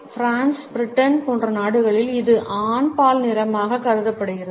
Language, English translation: Tamil, In countries like France and Britain, it is perceived to be a masculine color